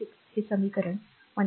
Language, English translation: Marathi, 6 this equation is 1